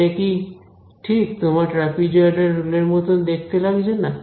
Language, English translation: Bengali, So, does not this look exactly like your trapezoidal rule right